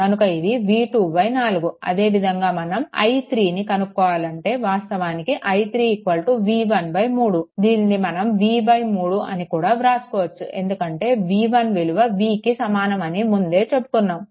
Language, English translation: Telugu, So, it will be v 2 by 4 right similarly if you try to your find out i 3, i 3 will be actually is equal to it is v 1 by your 3 that is nothing, but v by 3 that is your i 3 because this is your i 3 right because v 3 v 1 is equal to your v